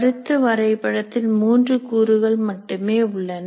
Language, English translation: Tamil, So a concept map can have several layers